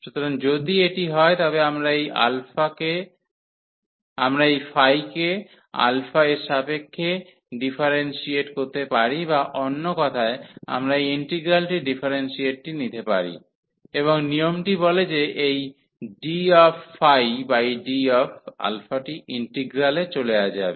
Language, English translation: Bengali, So, if this is the case, we can differentiate this phi with respect to alpha or in other words we can take the differentiation of this integral, and the rule says that this d over d alpha will go into the integral